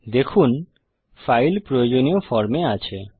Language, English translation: Bengali, See that the file is in the form we want